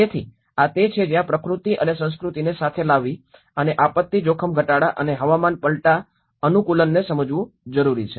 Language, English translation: Gujarati, So, this is where how to bring nature and culture together and understand in the disaster risk reduction and the climate change adaptation